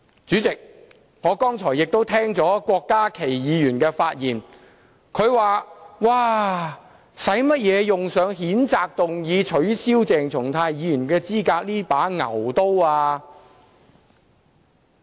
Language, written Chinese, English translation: Cantonese, 主席，我剛才亦聆聽了郭家麒議員的發言，他說："為甚麼要用上透過譴責議案取消鄭松泰議員的資格這把牛刀？, President I also listened to the speech of Dr KWOK Ka - ki earlier on . He said Why do we have to use the butchers knife seeking to disqualify Dr CHENG Chung - tai by a motion of censure?